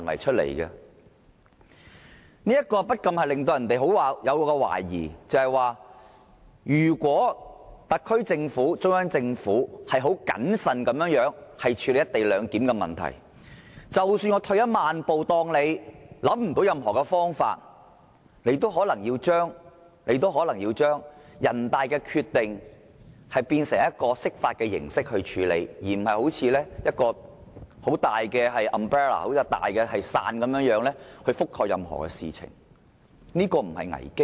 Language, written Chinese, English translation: Cantonese, 這不禁令人懷疑，即使特區政府和中央政府很審慎地處理"一地兩檢"的安排，退一萬步，假設他們想不到任何方法，可以定出一個概括的情況，最終仍可能要對人大常委會的決定以釋法形式處理，這不是危機嗎？, We cannot help but wonder even if the SAR Government and the Central Government have handled the co - location arrangement in a prudent manner and assuming that they cannot find an umbrella solution that covers all possible outcomes they may eventually have to seek interpretation of the Basic Law concerning the NPCSCs decision